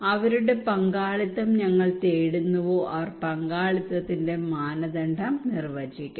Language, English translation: Malayalam, Those whose participations we are seeking for they will define the criteria of participations